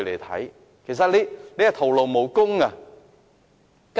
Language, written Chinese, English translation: Cantonese, 他們只會徒勞無功。, Their efforts will be futile